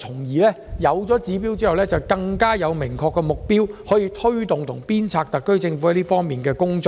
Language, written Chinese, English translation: Cantonese, 有了指標後，我們便有更明確的目標，可推動和鞭策特區政府這方面的工作。, With this target in place there will be more specific goals to drive the work of the SAR Government in this respect